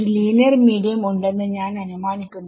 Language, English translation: Malayalam, So, I am going to assume a linear medium linear medium means